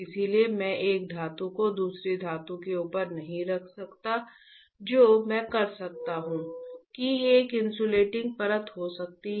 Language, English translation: Hindi, So, I cannot place one metal on the top of another metal right what I can do is, I can have a insulating layer in between